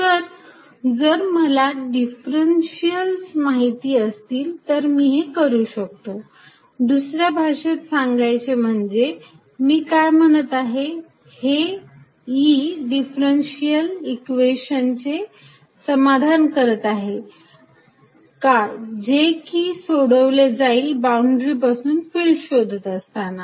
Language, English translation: Marathi, So, if I know the differentials I can do that, in other words what I am saying is:Does E satisfy a differential equation that can be solved to find the field starting from a boundary where it is known